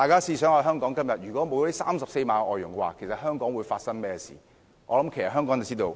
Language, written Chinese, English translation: Cantonese, 試想象一下，如果今天沒有這34萬名外傭，香港會發生甚麼事呢？, Members can imagine what will happen to Hong Kong today without these 340 000 foreign domestic helpers